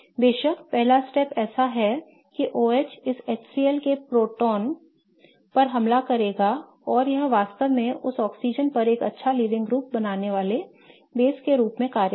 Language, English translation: Hindi, The first step of course is such that the OH will attack the proton of this HCL and it will act as a base really creating a good leaving group on that oxygen